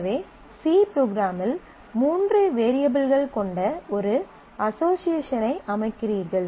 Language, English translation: Tamil, So, you are setting an association with three variables in the C program